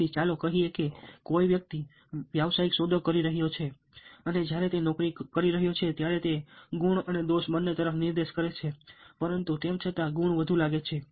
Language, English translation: Gujarati, so lets say, somebody is making a business deal and when he is making that he will points to both the pros and cons, but, however, the pros seem to be more